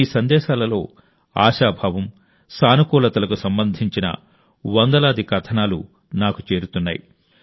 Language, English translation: Telugu, Hundreds of stories related to hope and positivity keep reaching me in your messages